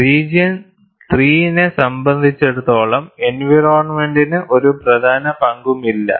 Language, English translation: Malayalam, For region 3, environment does not play a significant role